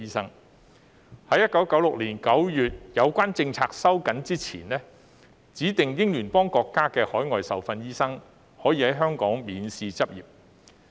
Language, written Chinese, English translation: Cantonese, 在有關政策於1996年9月收緊前，指定英聯邦國家的海外受訓醫生可以在香港免試執業。, Before the relevant policy was tightened in September 1996 overseas trained doctors from specified Commonwealth countries could practise in Hong Kong without taking any examination